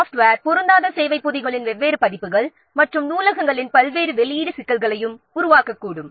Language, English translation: Tamil, So, different versions of software mismatched service packs and different release of libraries they may also create problems